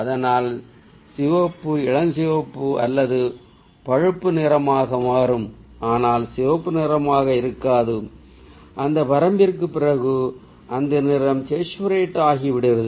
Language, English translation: Tamil, so, ah, red will become pink or brown, but not red, and that day, after that point, the color gets saturated